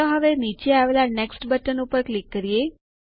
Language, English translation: Gujarati, Now let us click on the Next button at the bottom